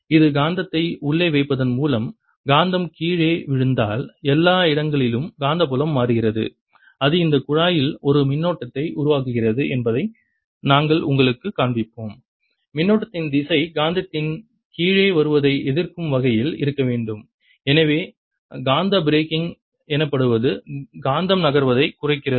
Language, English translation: Tamil, if the magnet is falling down, the magnetic field everywhere is changing and that produces a current in this tube, and the direction of current should be such that it opposes the coming down of the magnet and therefore magnet slows down, what is known as magnetic braking